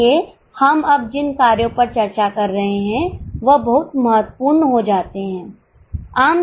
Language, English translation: Hindi, So, what we are discussing now, those factors become very important